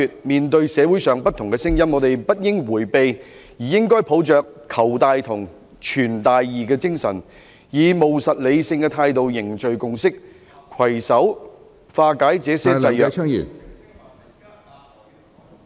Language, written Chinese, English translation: Cantonese, 面對社會上不同的聲音，我們不應迴避，而應該抱着'求大同、存大異'的精神，以務實理性的態度凝聚共識，攜手化解這些制約......, We should not shy away from the different voices in the community . Instead in the spirit of seeking common ground while shelving major differences we should build consensus in a pragmatic and rational manner and join hands to overcome constraints